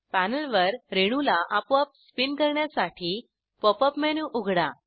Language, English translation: Marathi, To automatically spin the molecule on the panel, open the Pop up menu